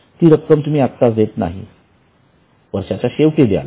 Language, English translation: Marathi, You will pay it at the end of the year